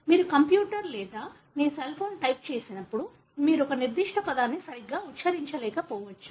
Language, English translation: Telugu, When you type in a computer or your cell phone, you may not spell a particular word properly